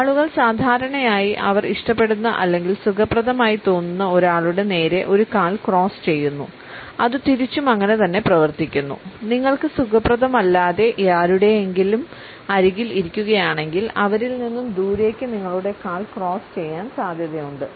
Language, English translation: Malayalam, People usually cross a leg towards someone they like or are comfortable with and it also works the opposite way; if you are sitting beside somebody that you are not comfortable with; it is pretty likely you are going to cross your leg away from them